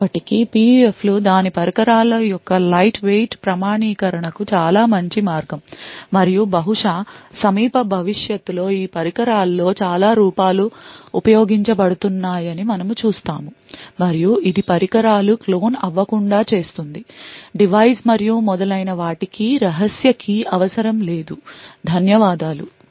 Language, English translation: Telugu, Nevertheless PUFs are very promising way for lightweight authentication of its devices and perhaps in the near future we would actually see a lot of forms being used in these devices and this would ensure that the devices will not get cloned, no secret key is required in the device and so on, thank you